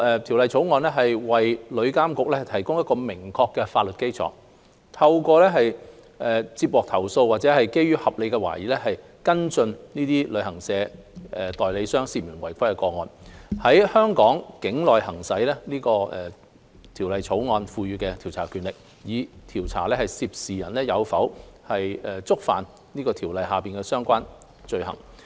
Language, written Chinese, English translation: Cantonese, 《條例草案》為旅監局提供明確的法律基礎，透過接獲投訴或基於合理懷疑，跟進這些旅行代理商涉嫌違規的個案，於香港境內行使《條例草案》賦予的調查權力，以調查涉事人士有否觸犯《條例草案》下的相關罪行。, The Bill provides a solid legal basis for TIA to follow up suspected offence cases involving those travel agents through complaints received or based on reasonable suspicion and exercise the powers of investigation in Hong Kong provided for in the Bill to investigate whether the persons involved have committed the relevant offence under the Bill